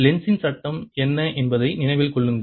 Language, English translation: Tamil, remember what is lenz's law